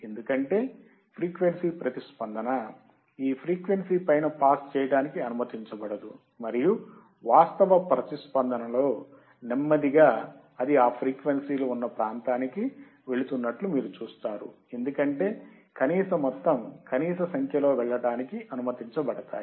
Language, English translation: Telugu, Because will above this frequency the response the frequency would not allowed to pass and in the actual response you will see that slowly it is going to the region where frequencies are minimum amount, minimum number of frequencies are allowed to pass right